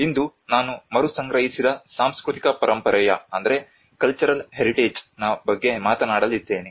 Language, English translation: Kannada, Today I am going to talk about cultural heritage re assembled